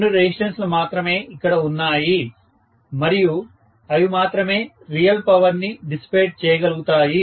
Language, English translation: Telugu, Only two resistances are there and only they can dissipate real power